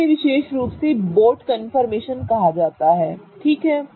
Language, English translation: Hindi, This particular confirmation is called as a boat confirmation